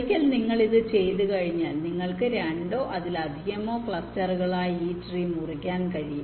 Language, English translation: Malayalam, then, once you do this, you can cut the tree to form two or more clusters